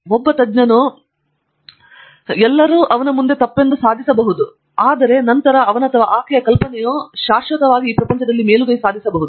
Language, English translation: Kannada, The one expert can prove everybody before him was wrong and then his or her idea can then prevail forever after that